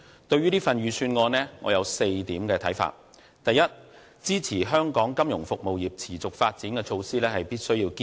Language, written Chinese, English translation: Cantonese, 對於這份預算案，我有4點看法：第一、支持香港金融服務業持續發展的措施必須予以堅持。, I have four comments on this Budget . First measures on the sustained development of Hong Kongs financial services industry should be maintained